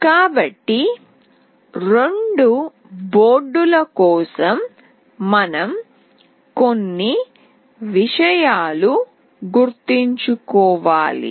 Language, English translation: Telugu, So, for both the boards we have to remember a few things